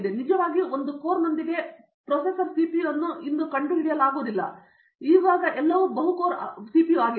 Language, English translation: Kannada, Now, you cannot actually find a processor CPU today with just 1 core, it is all multi core